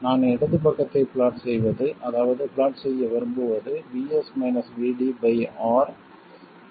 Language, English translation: Tamil, And plotting the left side, that is what I want to plot is VS minus VD by R versus VD